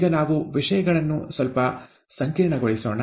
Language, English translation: Kannada, Now, let us complicate things slightly